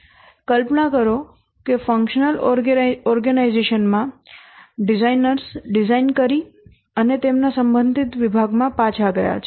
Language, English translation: Gujarati, Imagine that in a functional organization the designers have designed and they have gone back to their department, respective department